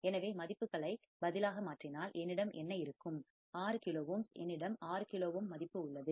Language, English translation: Tamil, So, if we substitute the values what will I have, 6 kilo ohm, I have value of 6 kilo ohm